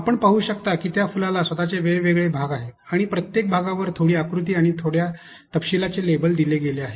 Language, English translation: Marathi, And you can see that the flower itself has different parts that are shown and each part has been labeled by a little bit of a diagram, and a little bit of details